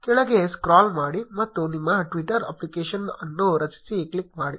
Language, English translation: Kannada, Scroll down and click on create your twitter application